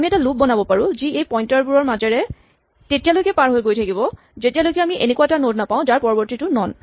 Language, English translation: Assamese, We can write a loop which keeps traversing these pointers until we reach a node whose next is none